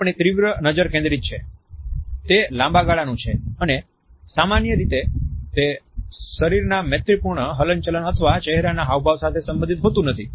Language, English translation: Gujarati, Our intense gaze is focused, it is of long duration and normally it is not accompanied by casual of friendly body movements or facial expressions